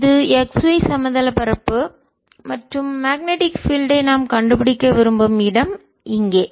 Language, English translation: Tamil, this is the x, y plane and here is the point where we want to find the magnetic field